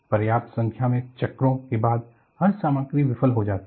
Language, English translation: Hindi, Every material fails after sufficient number of cycles